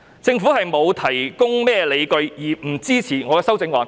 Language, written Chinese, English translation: Cantonese, 政府沒有提供任何理據而不支持我的修正案。, The Government does not support my amendment while failing to offer any justification